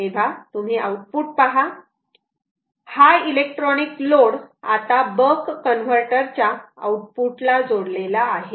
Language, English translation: Marathi, so, ah, you see at the output, this ah electronic load is right now connected to the output of the ah of the ah buck ah converter